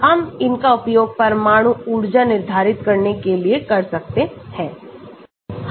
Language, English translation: Hindi, we can use it to determine the nuclear energy